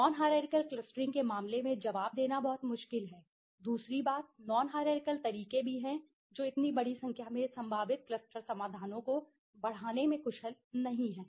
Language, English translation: Hindi, Which is very difficult to answer in case of the non hierarchical clustering, the other thing is non hierarchical methods also not so efficient a large number of potential cluster solutions increase